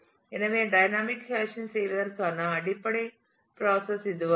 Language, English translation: Tamil, So, this is the basic process of doing dynamic hashing